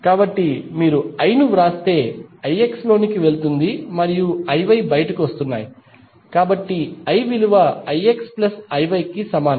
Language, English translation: Telugu, So, if you write I is going in I X and I Y are coming out, so I would be equal to I X plus I Y